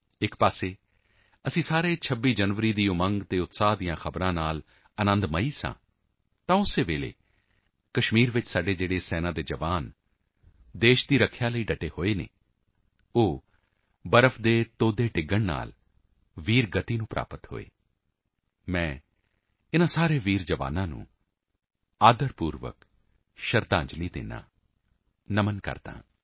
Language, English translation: Punjabi, While we were all delighted with the tidings of enthusiasm and celebration of 26th January, at the same time, some of our army Jawans posted in Kashmir for the defense of the country, achieved martyrdom due to the avalanche